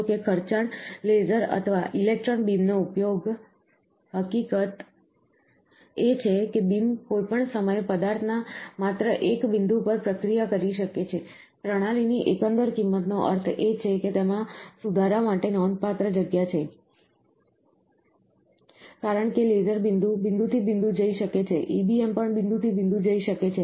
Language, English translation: Gujarati, However, the use of expensive laser or electron beams, the fact that the beam can only process one “point” of the material at any instant of time, the overall cost of the system, means that there is a considerable room of improvement, why because, the laser can go spot by spot EBM, also can go spot by spot